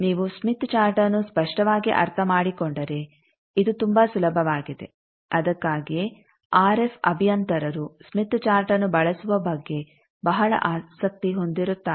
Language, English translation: Kannada, If you understand smith chart clearly this is very easy, that is why RF engineers are very passionate about using smith chart